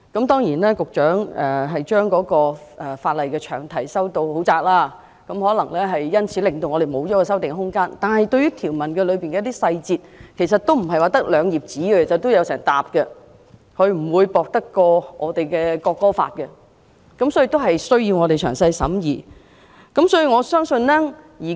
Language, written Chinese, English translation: Cantonese, 當然，局長將有關的法例詳題修訂得很窄，因此我們可能失去修訂的空間，但有關法例內的條文細節，其實不是只有兩頁紙，而是一整疊紙，不會比《國歌條例草案》薄，所以我們需要詳細審議。, Of course as shown in the long title of the legislation concerned the Secretary has confined the amendments to a narrow scope thus possibly leaving us no room for amendment . But the details of the relevant legislative provisions actually spread over not only two pages but a stack of paper thicker than that of the National Anthem Bill . Therefore it is necessary for us to have thorough deliberations